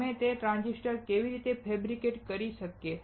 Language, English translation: Gujarati, How we can fabricate those transistors